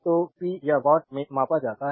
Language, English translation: Hindi, So, power is measured in watts